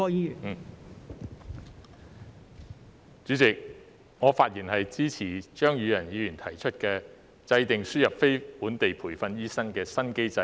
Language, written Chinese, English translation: Cantonese, 代理主席，我發言支持張宇人議員提出的"制訂輸入非本地培訓醫生的新機制"議案。, Deputy President I rise to speak in support of the motion on Formulating a new mechanism for importing non - locally trained doctors proposed by Mr Tommy CHEUNG